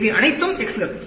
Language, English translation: Tamil, These are all x’s